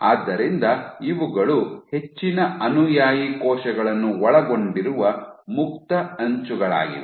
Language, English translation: Kannada, So, these are the free edge which contain most of the follower cells